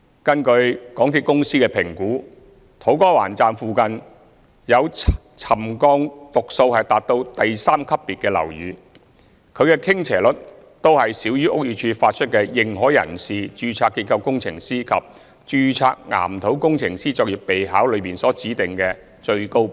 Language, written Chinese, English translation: Cantonese, 根據港鐵公司的評估，土瓜灣站附近有沉降讀數達到第三級別的樓宇，其傾斜率均少於屋宇署發出的"認可人士、註冊結構工程師及註冊岩土工程師作業備考"中所指定的最高指標。, According to MTRCLs assessment all buildings with settlement readings reaching the highest trigger level near To Kwa Wan Station have a tilting less than the limit specified in the Practice Notes for Authorized Persons Registered Structural Engineers and Registered Geotechnical Engineers of BD